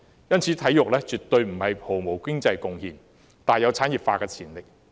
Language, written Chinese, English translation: Cantonese, 因此，體育絕對不是毫無經濟貢獻的，而是大有產業化的潛力。, Hence it is absolutely not true that sports have no economic contribution . Rather they have great potential for industrialization